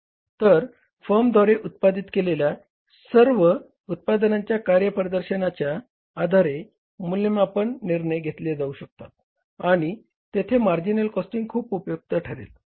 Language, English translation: Marathi, So, this performance evaluation of the different products by a firm, about all the products being manufactured by the firm, the decisions can be taken and the marginal costing is very, very helpful